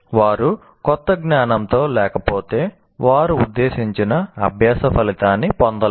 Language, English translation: Telugu, If they are not engaging, if new knowledge, they will not attain the intended learning outcome